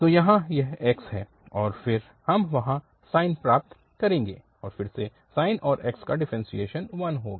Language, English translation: Hindi, So, x and then we will get sine there, and again sine and the differentiation of x will be 1